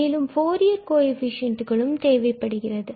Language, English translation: Tamil, And these are exactly the Fourier coefficients of the function f